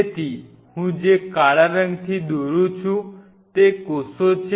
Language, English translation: Gujarati, So, the black what I am drawing is the cells